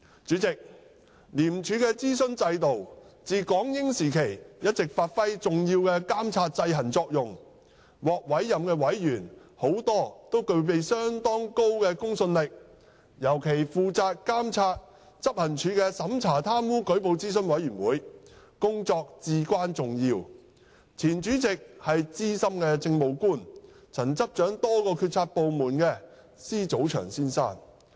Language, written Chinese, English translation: Cantonese, 主席，廉署的諮詢制度自港英時期一直發揮重要的監察制衡作用，獲委任的委員大都具備相當高的公信力，尤其負責監察執行處的審查貪污舉報諮詢委員會，其工作至關重要，前主席為資深政務官、曾執掌多個決策部門的施祖祥先生。, President the advisory system of ICAC has performed the important function of monitoring and exercising checks and balance since the Hong Kong - British era . Most appointees to these committees have a high credibility and particularly there is the Operations Review Committee ORC responsible for monitoring the Operations Department . Its work is vitally important and it was formerly chaired by Mr Michael SZE an experienced Administrative Officer in the Government who had been in charge of a number of policymaking departments